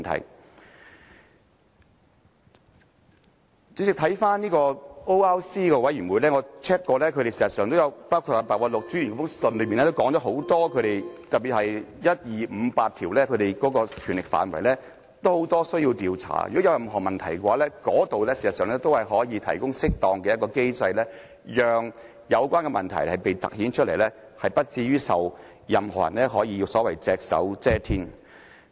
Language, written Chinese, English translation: Cantonese, 代理主席，關於 ORC， 我曾查看過，而白韞六專員的信件也有提及，在 ORC 的職權範圍下，特別是第一、二、五及八項，其實可作多方面的調查，如有任何問題，那裏可以提供適當機制，讓有關的問題凸顯出來，不致令任何人可隻手遮天。, Deputy President I have looked over the information about ORC and Commissioner Simon PEHs letter has also mentioned some details . Under the terms of reference of ORC particularly in accordance with the first second fifth and eighth items investigation can be conducted in various aspects . In case there is any question they can provide an appropriate mechanism for the question concerned to be highlighted so that no one can be above the law